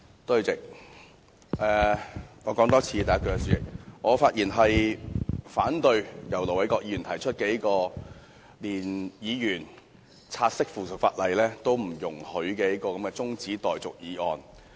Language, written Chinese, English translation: Cantonese, 主席，我再重複一次，我發言反對由盧偉國議員動議、連議員察悉附屬法例也不容許的中止待續議案。, President let me repeat once again . I speak against the adjournment motion moved by Ir Dr LO Wai - kwok which does not even allow Members to take note of the subsidiary legislation